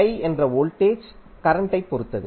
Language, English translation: Tamil, So, 3i means voltage is depending upon the current